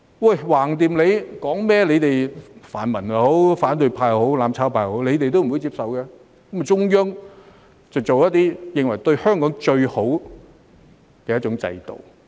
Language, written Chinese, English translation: Cantonese, 反正說甚麼也好，他們泛民、反對派或"攬炒派"也不會接受，於是中央便提出一種他們認為對香港最好的制度。, Anyway the pan - democratic camp the opposition camp or the mutual destruction camp would not accept whatever is said so the Central Authorities have proposed a system that they regard as the best for Hong Kong